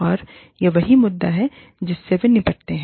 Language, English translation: Hindi, And, this is the very issue, that they dealt with